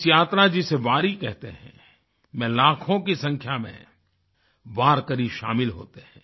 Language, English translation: Hindi, This yatra journey is known as Wari and lakhs of warkaris join this